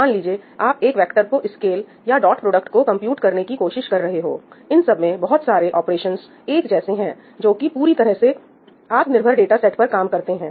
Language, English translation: Hindi, So, suppose you are trying to scale a vector or compute a dot product, you have lots of operations which are very similar in nature and which are completely working on independent data sets